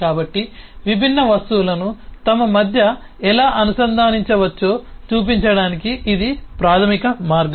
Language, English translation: Telugu, so this is the basic way to show how different objects can be linked between themselves